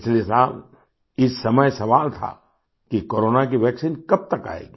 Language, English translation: Hindi, Last year, around this time, the question that was looming was…by when would the corona vaccine come